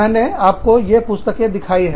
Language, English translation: Hindi, I have shown you, these books